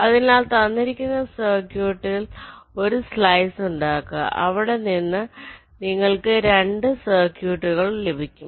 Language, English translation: Malayalam, so, given a circuit, if you make a slice you will get two circuits from there